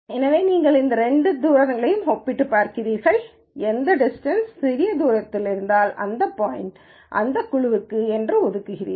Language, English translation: Tamil, So, you compare these two distances and whichever is a smaller distance you assign that point to that group